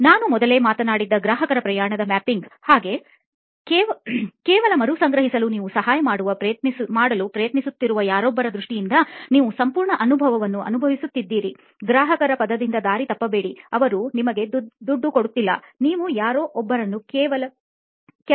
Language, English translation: Kannada, The customer journey mapping that I was talking to earlier about, customer journey mapping just to recap is as if you are going through the entire experience from the eyes of somebody that you are trying to help, don’t let the word customer mislead you, they don’t have to pay you; It’s just somebody that you want to help in some way